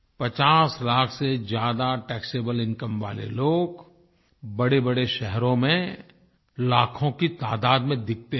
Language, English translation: Hindi, People having a taxable income of more than 50 lakh rupees can be seen in big cities in large numbers